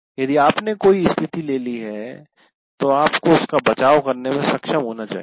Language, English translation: Hindi, And if you have taken a position, you should be able to defend that